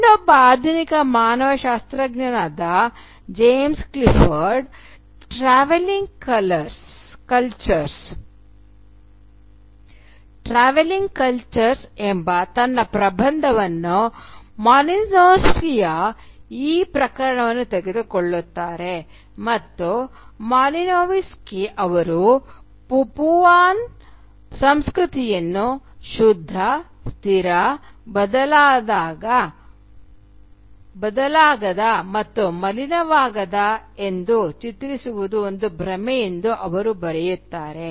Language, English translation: Kannada, Well another modern day anthropologist James Clifford, in his essay “Travelling Cultures”, takes up this case of Malinowski and he writes that Malinowski's portrayal of the Papuan culture as pure, static, unchanging, and uncontaminated is an illusion